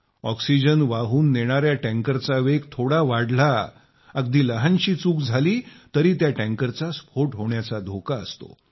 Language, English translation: Marathi, If an oxygen tanker moves fast, the slightest error can lead to the risk of a big explosion